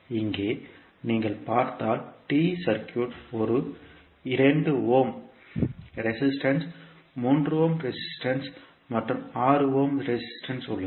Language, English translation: Tamil, So here if you see you have the T circuit which has one 2 ohm resistance, 3 ohm resistance and 6 ohm resistance